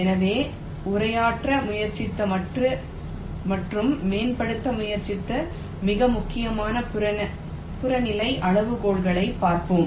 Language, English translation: Tamil, so let us look at some of the more important objective criteria which people have tried to address and tried to optimize